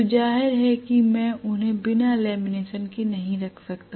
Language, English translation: Hindi, So obviously I cannot have them without lamination